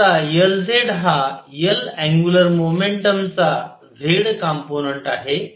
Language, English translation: Marathi, And now L z is z component of L angular momentum